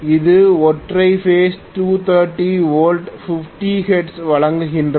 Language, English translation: Tamil, This is the single phase 230 volts, 50 hertz supply